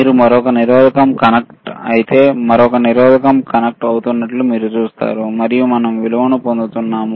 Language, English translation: Telugu, If you connect to another resistor, you will see another resistor is connecting and we are getting the value around 2